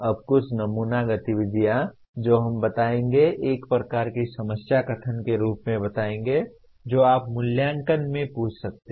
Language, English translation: Hindi, Now some sample activities which we will state in the form of let us say a kind of a problem statement what you can ask in assessment